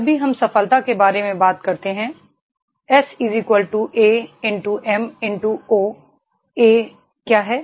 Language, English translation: Hindi, Whenever we talk about the success, S= A×M×0 What is A